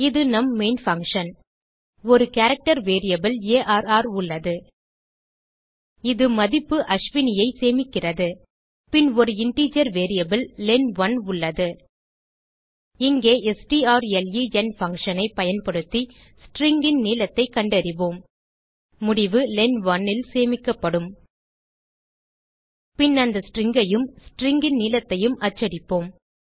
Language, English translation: Tamil, This is our main function Here we have a character variable arr, It stores a value Ashwini Then we have an integer variable len1 Here we will find the lenght of the string using strlen function The result will be stored in len1 Then we print the string and the length of the string